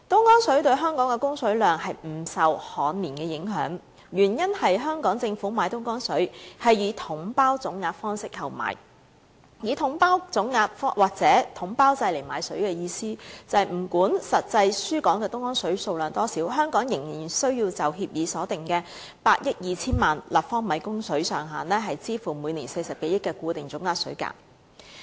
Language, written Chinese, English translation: Cantonese, 東江對港供水量不受旱年影響，原因是香港政府是以"統包總額"的方式購買東江水，以"統包總額"或統包制買水的意思是不管實際輸港的東江水數量多少，香港仍須就協議所訂的8億 2,000 萬立方米供水上限，支付每年40多億元的固定總額水價。, The supply quantity of Dongjiang water for Hong Kong is not affected by drought because the Hong Kong Government purchases Dongjiang water under a package deal lump sum approach . Buying water under the package deal lump sum approach or buying water under a package deal means that regardless of the actual quantity of Dongjiang water being delivered Hong Kong will still have to pay a fixed lump sum of water cost at over 4 billion per year in respect of the water supply ceiling of 820 million cu m under the agreement